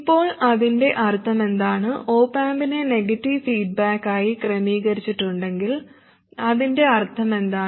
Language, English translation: Malayalam, Now what it means is if the op amp is arranged to be in negative feedback, what does that mean